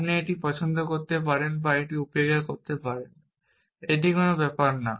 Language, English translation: Bengali, You can either like it or you can ignore it, it does not matter